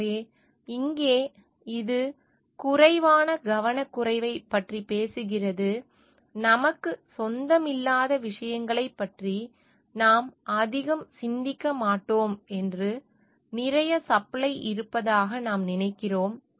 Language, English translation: Tamil, So, here this talks of fewer less careful, we do not think much about things, which do not belong to us and, which we think are there in plenty of supply